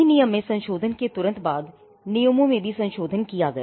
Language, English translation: Hindi, Soon after amending the act, the rules were also amended